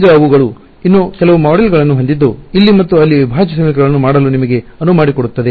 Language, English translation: Kannada, Now, they have some more modules which allow you to do integral equations here and there